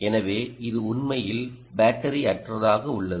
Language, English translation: Tamil, so it's really battery less